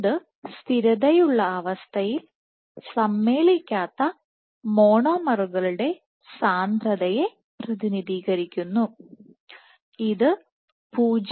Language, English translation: Malayalam, So, this represents the concentration of unassembled monomers at steady state and this has been found to be 0